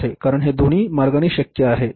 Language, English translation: Marathi, So, because it can be possible either way